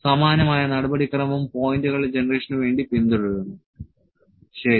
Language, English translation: Malayalam, The similar procedure would follow will just for generate the points, ok